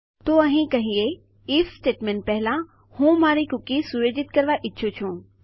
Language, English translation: Gujarati, So lets say over here just before our if statement, I wish to unset my cookie